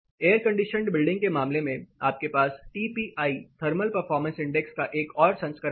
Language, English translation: Hindi, In case of air condition building, you have another version of TPI; thermal performance index